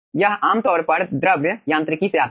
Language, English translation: Hindi, this is typically coming from fluid mechanics